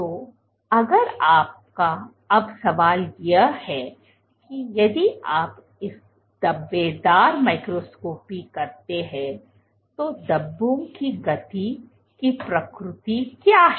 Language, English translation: Hindi, So, if you do now the question is if you do this speckle microscopy what is the nature of the movement of the speckles